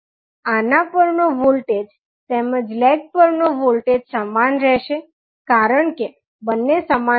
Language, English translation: Gujarati, So, the voltage across this as well as across this lag will remain same because both are in parallel